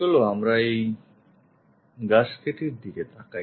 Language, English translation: Bengali, Let us look at this gasket